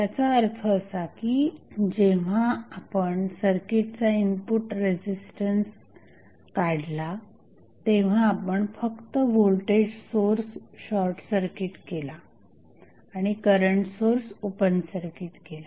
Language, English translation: Marathi, That means when we found the input resistance of the circuit, we simply short circuited the voltage source and open circuit at the current source